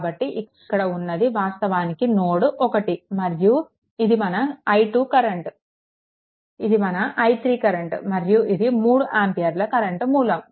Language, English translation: Telugu, So, this is actually node 1 this current is your i 2, this current is your i 3 and this 3 ampere current is this thing, right